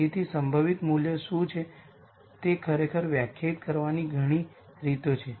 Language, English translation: Gujarati, So, there are many ways of actually defining what the most likely value is